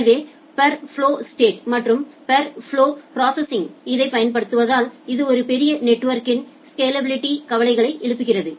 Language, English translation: Tamil, So use of this per flow state and per flow processing, it raises the scalability concerns over a large network